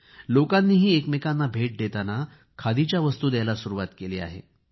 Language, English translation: Marathi, Even people have started exchanging Khadi items as gifts